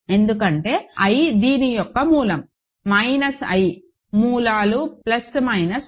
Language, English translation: Telugu, Because, i is a root of this, minus i roots are plus minus i, plus minus i